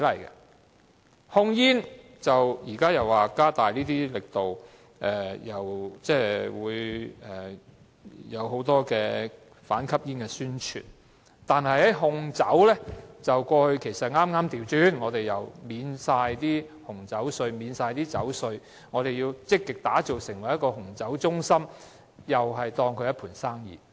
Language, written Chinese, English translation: Cantonese, 政府現時表示要加大控煙力度，因此推出很多反吸煙宣傳，但在控酒方面卻恰恰相反，見諸於政府不久前豁免紅酒稅和酒稅，以期積極地將香港打造成為紅酒中心，把紅酒視為一盤生意。, These days the Government talks about the need for enhanced tobacco control so it launches many anti - smoking publicity campaigns . But the case of alcohol control is exactly the opposite as reflected by the Governments recent exemption of duty on red wine and alcohol as a proactive means to develop Hong Kong into a red wine hub and also its perception of red wine as a business